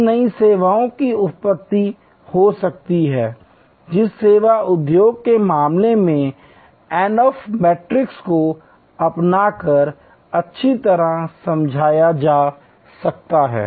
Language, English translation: Hindi, Now, new services can have origins, which can be well explained by adopting the Ansoff matrix in case of the service industry